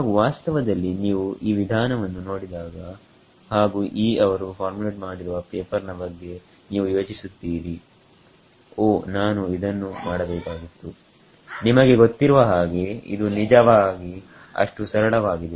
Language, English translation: Kannada, And in fact when you look at this method and the paper as formulated by Yee you would think; oh I could have done this, you know it is really that simple